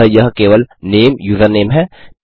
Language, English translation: Hindi, So this is just name, username